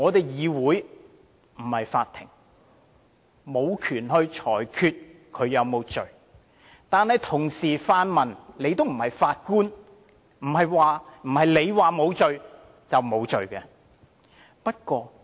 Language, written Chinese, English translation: Cantonese, 議會不是法庭，無權裁決他有沒有罪，但同樣，泛民也不是法官，不是他們說他沒罪，他便沒有罪。, The Council is not a law court . It has no power to judge whether he is guilty or not . But similarly the pan - democrats are not judges either